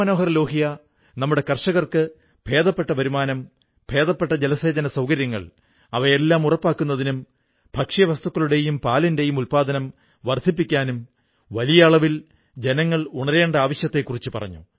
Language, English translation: Malayalam, Ram Manohar Lal ji had talked of creating a mass awakening on an extensive scale about the necessary measures to ensure a better income for our farmers and provide better irrigation facilities and to increase food and milk production